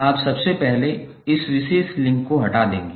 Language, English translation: Hindi, You will first remove this particular link